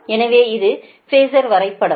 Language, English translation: Tamil, so this is the phasor diagram